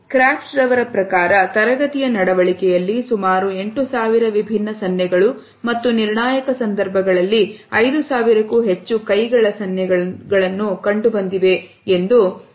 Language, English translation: Kannada, Krout is observed almost 8,000 distinct gestures in classroom behavior and 5,000 hand gestures in critical situations